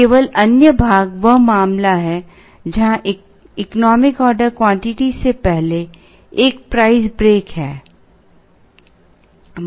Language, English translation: Hindi, Only other part is the case where there is a price break before the economic order quantity